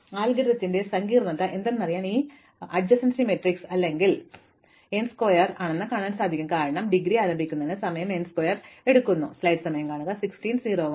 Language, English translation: Malayalam, So, what is the complexity of the algorithm it is fairly easy to see that for this adjacency matrix representation it is n square, as we saw initializing the indegree itself takes time n square, right